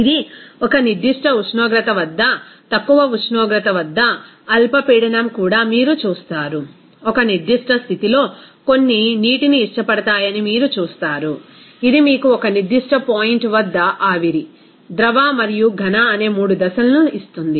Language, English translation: Telugu, You will see that this at a certain temperature, even at a low temperature, even low pressure, you will see that at a certain condition, you will see that some like water, it will give you that vapor, liquid and solid 3 phases at a particular point